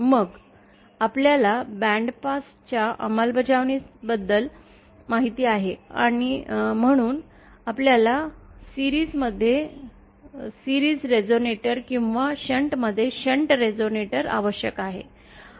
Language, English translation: Marathi, Then as we know for bandpass implementation, we need a series resonator in series or a shunt resonator in shunt